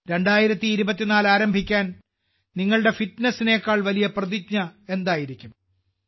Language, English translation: Malayalam, What could be a bigger resolve than your own fitness to start 2024